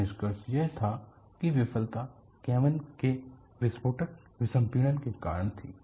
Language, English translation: Hindi, So,the conclusion was that the failure was due to explosive decompression the cabin